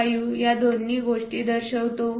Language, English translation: Marathi, 45 both the things